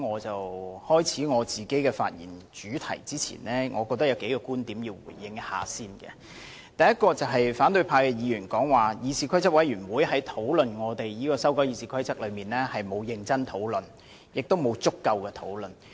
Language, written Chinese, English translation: Cantonese, 在我開始發言前，我認為有需要先回應多個觀點。第一，反對派議員表示，議事規則委員會在修改《議事規則》一事上沒有進行認真及足夠的討論。, Before I speak I feel obliged to respond to a number of viewpoints First of all opposition Members said that the Committee on Rules of Procedure CRoP had not conducted serious and adequate discussions on the proposals to amend the Rules of Procedure RoP